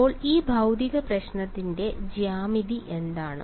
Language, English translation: Malayalam, So, what is the sort of geometry of this physical problem